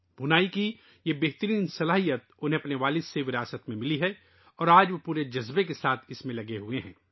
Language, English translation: Urdu, He has inherited this wonderful talent of weaving from his father and today he is engaged in it with full passion